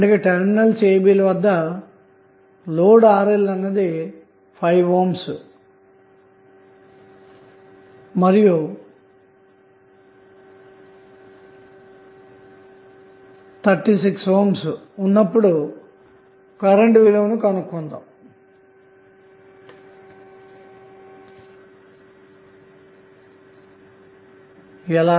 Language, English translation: Telugu, So these are the terminals a b and we have to find out the current through the load when RL is equal to either 6 ohm or 36 ohm